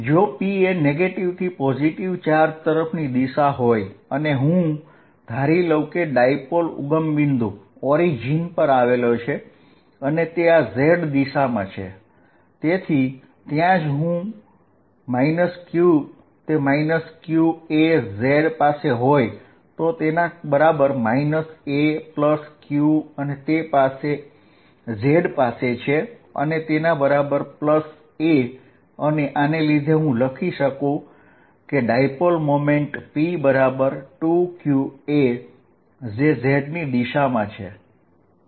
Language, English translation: Gujarati, So, p is going to have a direction from negative to positive charge, if I take the dipole to be sitting at the origin and in the z direction, then I will take the charges minus q at minus a at z equals minus a and plus q to be sitting at z equals plus a and I can write the dipole moment p of this to be equal to 2qa in the z direction